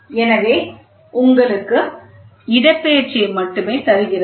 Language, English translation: Tamil, So, this only gives you the displacement